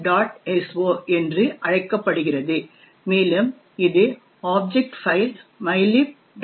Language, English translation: Tamil, so and it comprises of this object file mylib